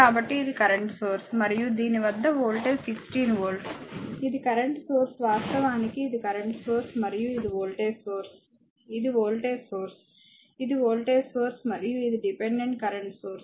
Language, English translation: Telugu, So, this is a current source and voltage across this is 16 volt this is a current source I have over looked actually it is a current source and this is a voltage this is a voltage source, this is a voltage source and this is a dependent current source